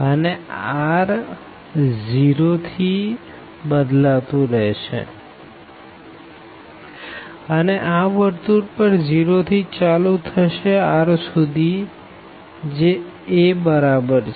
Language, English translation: Gujarati, And r is varying from 0, it is starts from 0 up to this circle here which is r is equal to a